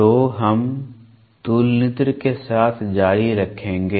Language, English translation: Hindi, So, we will continue with the Comparator